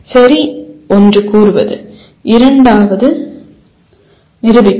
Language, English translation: Tamil, Okay, one is stating and the second one is proving